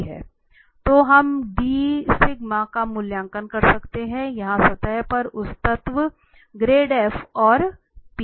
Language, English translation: Hindi, So d sigma that element on the surface we can evaluate here, the gradient f and p